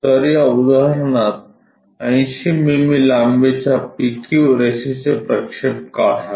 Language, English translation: Marathi, So, in this example draw projections of a 80 mm long line PQ